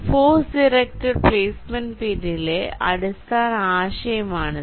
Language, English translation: Malayalam, this is the basic concept behind force directed placement, right